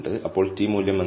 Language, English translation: Malayalam, So, what is t value